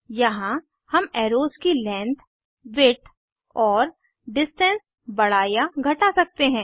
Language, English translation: Hindi, Here we can increase or decrease Length, Width and Distance of the arrows